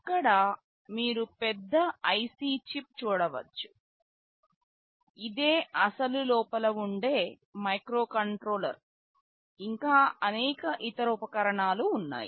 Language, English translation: Telugu, Here you can see a larger IC chip here, this is the actual microcontroller sitting inside and there are many other accessories